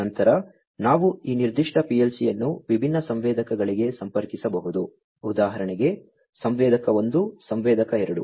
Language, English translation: Kannada, Then, we could similarly have this particular PLC connect to different sensors, for example, sensor 1, sensor 2 etcetera